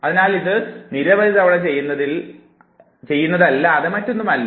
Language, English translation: Malayalam, So, it is nothing but doing it several times, several times